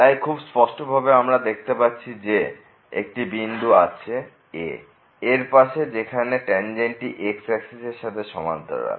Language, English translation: Bengali, So, clearly we can observe that there is a point here somewhere next to this , where the tangent is parallel to the